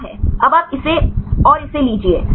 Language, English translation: Hindi, Now you take this and this